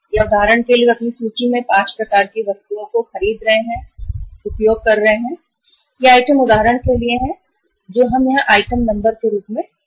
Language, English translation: Hindi, Or for example they are buying the uh in their inventory 5 type of the items they are using and these items are for example we take here as the uh item uh number